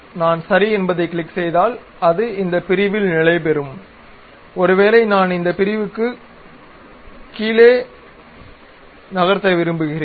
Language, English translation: Tamil, If I click Ok it settles at this section, perhaps I would like to really make this section up and down